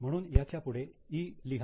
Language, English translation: Marathi, So, let us mark it as E